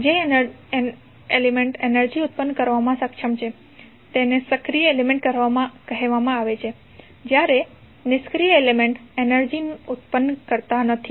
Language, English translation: Gujarati, The element which is capable of generating energy while the passive element does not generate the energy